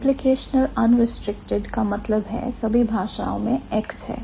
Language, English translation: Hindi, So, uh, implicational unrestricted means all languages have x